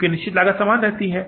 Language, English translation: Hindi, Because fixed cost remains the same